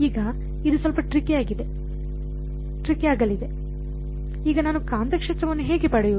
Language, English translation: Kannada, Now this is going to be a little bit tricky, how do I get the magnetic field now